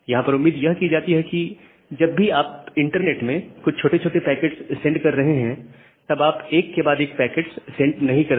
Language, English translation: Hindi, So, the hope here is that whenever you are sending some short packet in the internet, you are not sending multiple short packets one after another